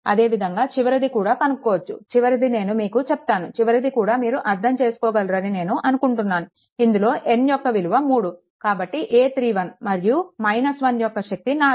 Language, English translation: Telugu, Similarly, last one also, last one shall I tell you I think last one also you will be able to understand, because n is equals to 3 so, it will be a 3 1 minus 1 4, right